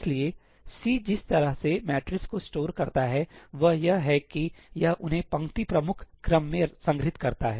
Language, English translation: Hindi, the way C stores the matrices is that it stores them in the row major order